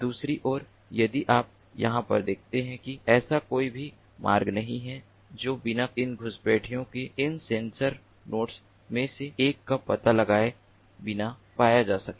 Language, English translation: Hindi, on the other hand, if you look at over here, there is no such paths that can be found without getting detected, without the intruder getting detected by one of these sensor nodes